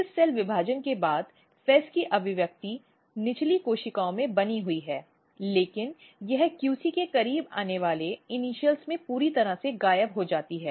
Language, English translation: Hindi, After this cell division the expression of FEZ remains in the lower cells, but it totally and immediately very quickly disappears from the initials which are close to the QC